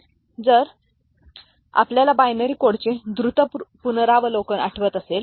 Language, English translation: Marathi, So, if you remember the quick revisit of the binary code